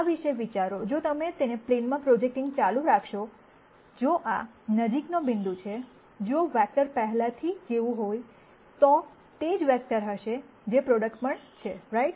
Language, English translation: Gujarati, Think about this if you keep projecting it back to the plane, if this is the closest point if the vector is already in the plane, it would be the same vector that is also the prod uct right